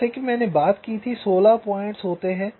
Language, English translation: Hindi, there is a set of sixteen points